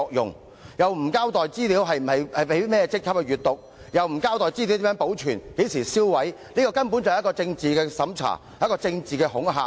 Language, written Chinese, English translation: Cantonese, 警方沒有交代甚麼職級的警員會查閱有關資料，也沒有交代如何保存及何時銷毀資料，這根本是政治審查及政治恐嚇。, The Police have not told us the ranks of police officers who access the relevant information how the information will be archived and when it will be destroyed . This is basically political censorship and political intimidation